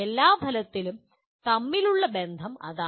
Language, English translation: Malayalam, That is broadly the relationship among all the outcomes